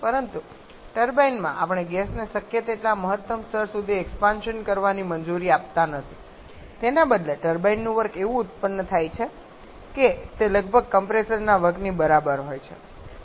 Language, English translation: Gujarati, But in the turbine we do not allow the gas to expand to the maximum level possible rather the turbine work is produced such that it is nearly equal to the compressor work